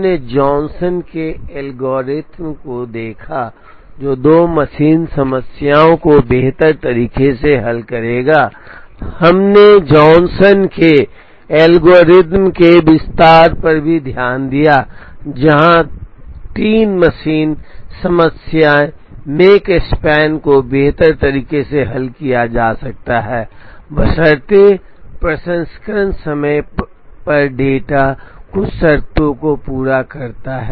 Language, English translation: Hindi, We looked at the Johnson's algorithm, which would solve the two machine problem optimally, we also looked at the extension of the Johnson's algorithm, where the 3 machine problem the make span can be solved optimally, provided the data on the processing times satisfy certain conditions